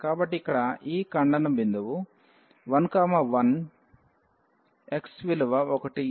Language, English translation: Telugu, So, this point of intersection here is 1 1 the value of x is 1